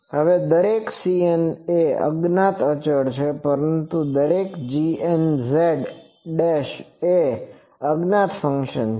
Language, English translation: Gujarati, Now each c n is an unknown constant, but each g n z dashed is a known function